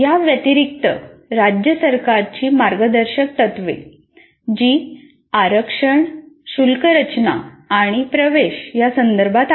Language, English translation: Marathi, In addition to this, guidelines of state governments, they are with regard to reservations, fee structure and admissions